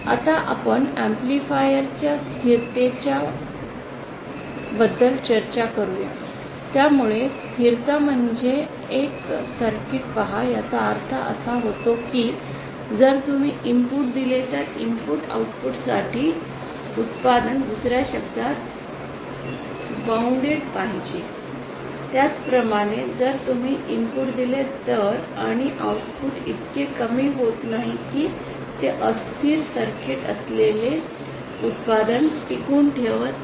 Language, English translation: Marathi, For now let us discuss let us start about the stability aspect of an amplifier so what do you mean by stability a circuit see when I say stability it means that if you give an input the output should be bound in other words for bounded input output should be bound if you give an input and then the output amplifies itself to such an extent that it reaches its saturation value then the circuit is not stable